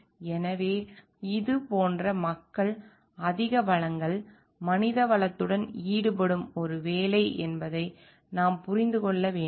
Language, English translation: Tamil, So, we understand like this being a job where people are involved with like greater resources manpower